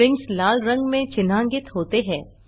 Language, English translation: Hindi, Variables are highlighted in purple color